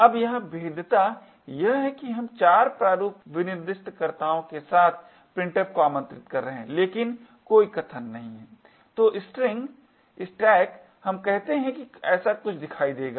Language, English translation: Hindi, Now the vulnerability here is that we are invoking printf with 4 format specifiers but with no arguments at all, so the string…the stack let us say would look something like this